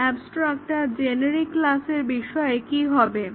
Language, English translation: Bengali, Now, what about abstract and generic classes